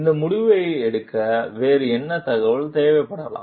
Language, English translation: Tamil, What other information may be needed to make this decision